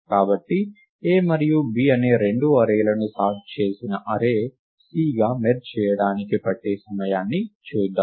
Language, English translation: Telugu, So, let us look at the time taken to merge the two arrays A and B into a sorted array C